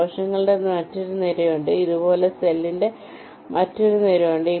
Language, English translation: Malayalam, there is another row of cells, there is another row of cells like this